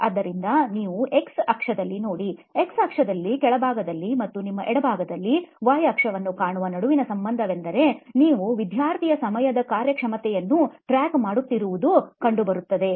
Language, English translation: Kannada, So that’s the relationship between what you see on the x axis, x axis here at the bottom and at your left is the y axis where you are tracking on time performance of the student